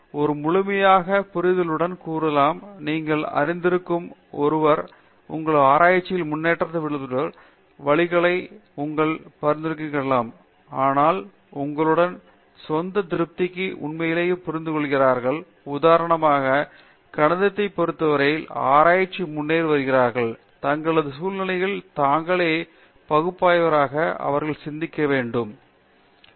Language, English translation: Tamil, But in generally, in a more holistic sense especially for someone who is just you know considering coming in and so on what would you suggest are good ways to measure their progress in research, so that for their own satisfaction also they understand in fact, they are progressing in research especially let’s say with respect to mathematics for example, did you think there are ways in which they should think of themselves analyze their situations